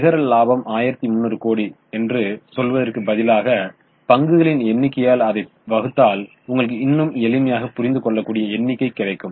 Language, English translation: Tamil, So, instead of telling 1,300 crores, if you divide it by number of shares, you will get a more understandable figure